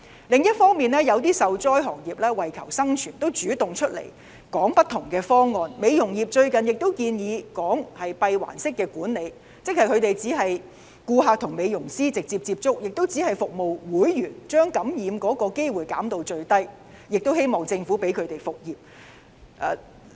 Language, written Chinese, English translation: Cantonese, 另一方面，一些受災行業為求生存，主動提出不同方案，例如美容業最近建議"閉環式管理"，即只是顧客和美容師直接接觸及只向會員提供服務，將感染機會減至最低，希望政府讓他們復業。, On the other hand some hard - hit trades have put forward different proposals in the hope of staying afloat . For example the beauty industry has proposed the closed - loop management approach that is only one beautician will contact one client directly and services will only be provided to members only with a view to minimizing the risk of infection . They hope that the Government will allow them to resume business